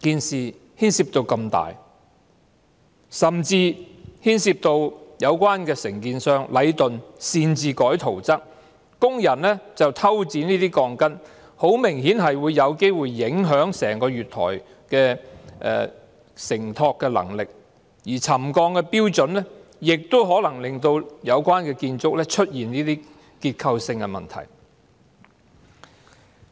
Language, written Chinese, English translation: Cantonese, 事情牽涉那麼大範圍，甚至牽涉到有關承建商——禮頓建築有限公司——擅自更改圖則，而工人則偷剪鋼筋，很明顯是有機會影響整個月台的承托能力，而沉降標準亦可能令有關建築物出現結構性問題。, Since the issues involved are extensive in scope even featuring unauthorized alterations of plans by the relevant contractor―Leighton Contractors Asia Limited Leighton and the cutting of rebars in stealth by workers there are the distinct possibilities of the loading capacity of the entire platform being compromised and the relevant buildings falling victim to structural problems as settlement levels suggest